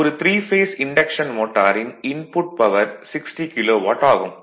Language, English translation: Tamil, The power input to a 3 phase induction motor is 60 kilo watt